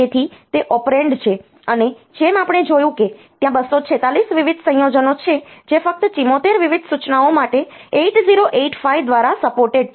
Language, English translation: Gujarati, So, that is the operand, and as you as we have seen that there are 246 different combinations that are supported by 8085 for only 74 different instructions